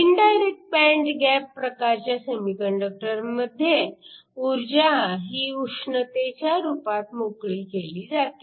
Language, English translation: Marathi, In the case of an indirect band gap semiconductor, the energy is released in the form of heat